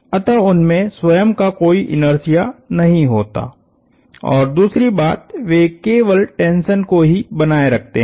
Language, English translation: Hindi, So, they do not have an inertia of their own and secondly, they only sustain tension